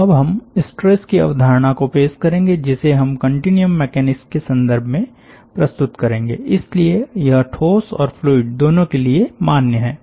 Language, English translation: Hindi, so we will now introduce the concept of stress, which we will be introducing in a, in a context of continuous mechanics, so it is valid for both solid and liquids